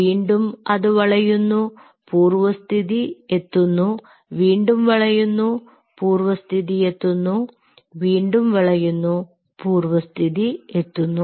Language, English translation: Malayalam, then again it bend and again it goes back again, it bends again, it goes back, again it bends, again it goes back